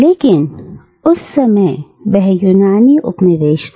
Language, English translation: Hindi, But at that point of time it was a Greek colony